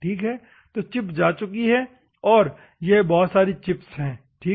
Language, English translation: Hindi, So, the chip is gone, these are the chips, ok